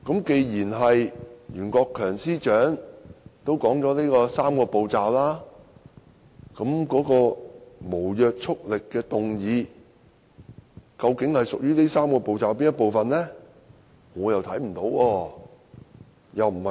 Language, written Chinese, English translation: Cantonese, 既然袁司長已提到"三步走"，那麼無約束力的議案究竟屬於"三步走"中的哪一步？, Since Secretary for Justice Rimsky YUEN has mentioned the Three - step Process which step among the three steps is the non - binding motion related to?